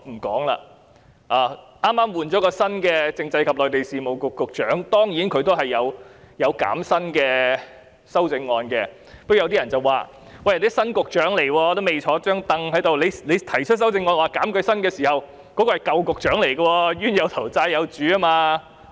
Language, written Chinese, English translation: Cantonese, 剛剛換了新的政制及內地事務局局長，有修正案涉及削減他的薪酬，但有人認為，議員提出修正案時，新局長尚未上任，減薪的對象是舊局長，"冤有頭，債有主"。, A new Secretary for Constitutional and Mainland Affairs has just taken office and there is an amendment that seeks to cut his salary . Someone however considers that when the Honourable Member proposed her amendment the new Secretary had yet to assume office and the salary cut should target the former Secretary . A wrong has its instigator and a debt has its lender